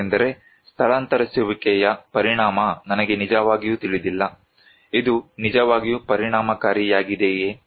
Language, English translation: Kannada, Because, I really do not know the effect of evacuation, is it really effective